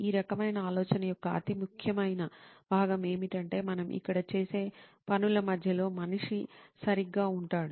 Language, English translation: Telugu, The most important part of this type of thinking is that the human is right at the centre of whatever we do here